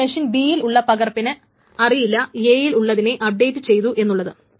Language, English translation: Malayalam, Now the copy at machine B does not still know about the update in the machine A